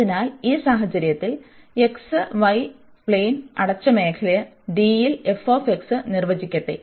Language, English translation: Malayalam, So, in this case let f x be defined in a closed region d of the x, y plane